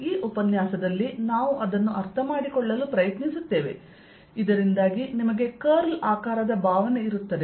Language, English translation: Kannada, this is what we will try to understand so that you had a feeling for a curl